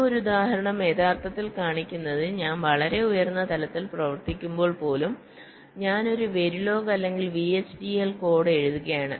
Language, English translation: Malayalam, so this example actually shows that even when i am working at a much higher level, i am writing a very log or v, h, d, l code